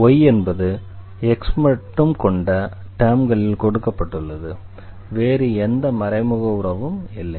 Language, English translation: Tamil, So, we have y is given in terms of x no other implicit relation